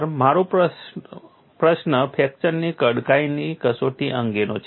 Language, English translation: Gujarati, Sir my question is regarding a fracture toughness testing sir